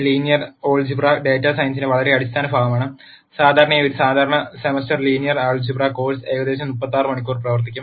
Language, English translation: Malayalam, Linear algebra is a very fundamental part of data science and usually a typical one semester linear algebra course will run for about 36 hours